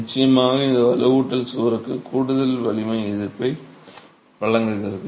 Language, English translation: Tamil, This reinforcement of course provides additional strength resistance to the wall